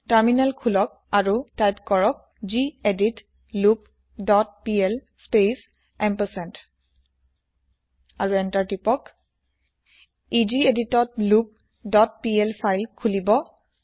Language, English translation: Assamese, Open the Terminal, type gedit loop dot pl space ampersand and press Enter This will open loop dot pl file in gedit